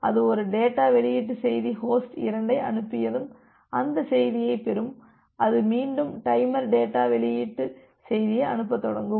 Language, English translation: Tamil, So, once it sending a data release message host 2 will receive that message it will again start the timer send the data release message